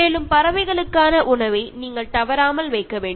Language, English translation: Tamil, And you should also keep food for birds regularly